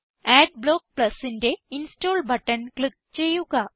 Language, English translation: Malayalam, Click on the Install button for Adblock Plus